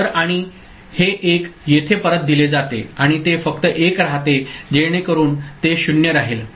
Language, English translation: Marathi, So, and this 1 is fed back here and it remains 1 only so it remains 0